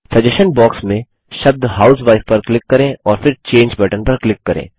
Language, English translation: Hindi, In the suggestion box,click on the word housewife and then click on the Change button